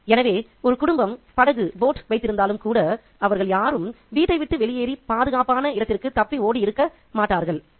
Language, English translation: Tamil, So, even if a family had owned a boat, not all of them would have left their home behind and flee to safety